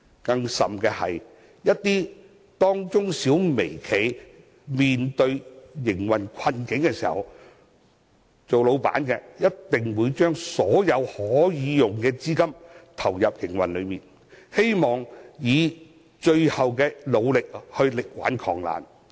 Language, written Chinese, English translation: Cantonese, 更甚的是，當中小微企一旦面對營運困境，老闆必定會把所有可用的資金投入營運之中，希望運用最後的努力力挽狂瀾。, Worse still in the case of operational difficulties these SME and micro - enterprise bosses will inject every usable penny into their business operation as a last - ditch attempt to save their business